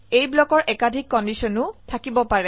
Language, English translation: Assamese, These blocks can have multiple conditions